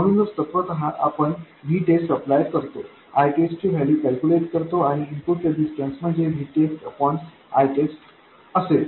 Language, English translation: Marathi, So essentially we apply V test, calculate the value of I test, and the input resistance would be V test divided by I test